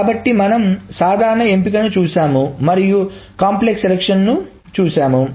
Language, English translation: Telugu, So we have seen simple selections and we have seen complex selections